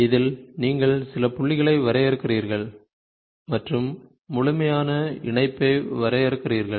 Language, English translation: Tamil, So, where in which you define certain points and you define the complete patch